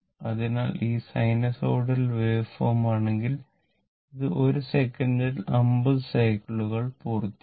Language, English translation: Malayalam, So, if you have sinusoidal waveform, so it will complete 50 such cycles 50 such cycles in 1 second right